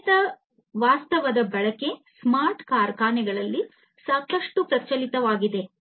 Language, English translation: Kannada, Use of augmented reality is quite rampant in smart factories, nowadays